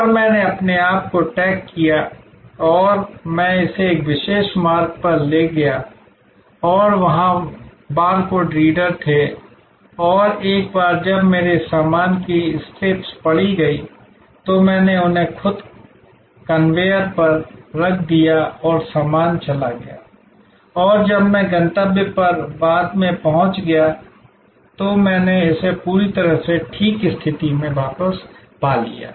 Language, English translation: Hindi, And I did my tagging myself and I took it to a particular route and there were barcode readers and once my baggage strips were read, I put them on the conveyor myself and the baggage was gone and I got it back perfectly ok, when I reach my destination later on